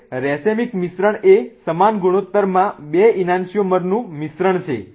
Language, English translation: Gujarati, Now racemic mixture is a mixture of two an angiomers in equal ratio